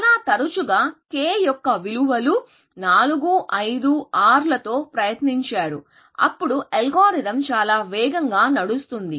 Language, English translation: Telugu, Very often, people tried 4, 5, 6, values of k and seeing, that their algorithm runs much faster